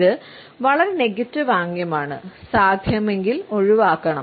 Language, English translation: Malayalam, This is a very negative gesture that should be avoided if possible